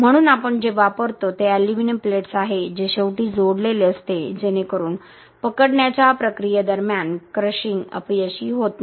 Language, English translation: Marathi, So, what we use is an aluminium plates that is attached to the end such that the crushing failure does not happen during the gripping process